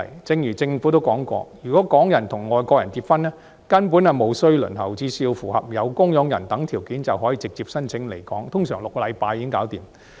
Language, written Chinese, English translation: Cantonese, 正如政府也說過，如果港人與外國人結婚，其外國家屬根本無須輪候，只須符合有供養人等條件，便可以直接申請來港，通常6星期便完成審批。, As also mentioned by the Government overseas family members of foreigners married to Hong Kong people simply need not join the queue and they may apply directly for residence in Hong Kong as long as they meet the requirements such as receiving support from a sponsor . Usually it takes six weeks to complete the vetting and approval process